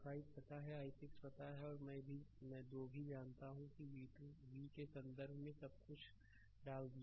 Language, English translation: Hindi, I 5 we know i 6 we know and i 2 also we know put everything in terms of v right